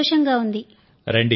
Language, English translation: Telugu, All are delighted